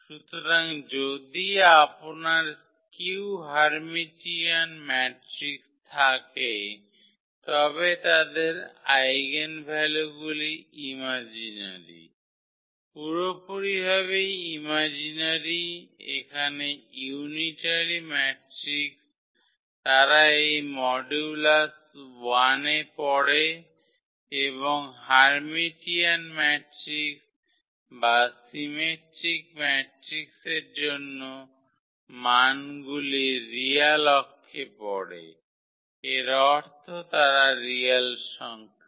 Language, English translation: Bengali, So, if you have a skew Hermitian matrix their eigenvalues are imaginary, purely imaginary here the unitary matrix they lie on this modulus 1 and for the Hermitian matrix or the symmetric matrix the values are sitting on the real axis, so meaning they are the real numbers